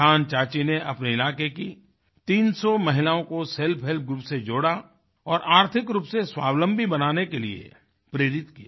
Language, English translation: Hindi, Rajkumari Deviadded 300 women of her area to a 'Self Help Group' and motivated the entire lot become financially selfreliant